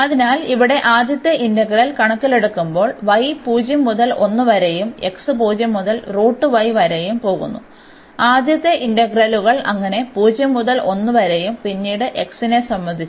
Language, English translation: Malayalam, So, considering the first integral here y goes from 0 to 1 and x goes from 0 to square root y so, the first integrals so, 0 to 1 and then here with respect to x